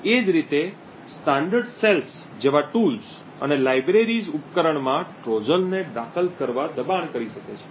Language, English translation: Gujarati, Similarly, tools and libraries like standard cells may force Trojans to be inserted into the device